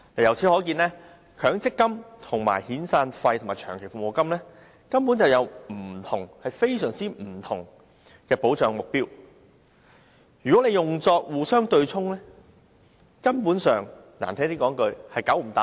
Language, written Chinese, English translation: Cantonese, 由此可見，強積金與遣散費及長期服務金根本有非常不同的保障目標，如果互相對沖，粗俗一點的說法是"九唔搭八"。, It can thus be seen that when compared with severance payments and long service payments MPF has a very different objective in terms of providing protection . If they are offset against each other to put it more colloquially they are on two entirely different planes of existence